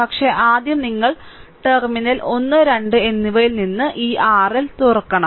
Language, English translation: Malayalam, But, first you have to open this R L from terminal 1 and 2